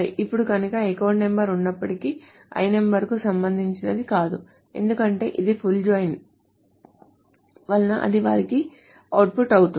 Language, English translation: Telugu, Now, so even if there is an account number but not corresponding L number, because it's a full join, it will output there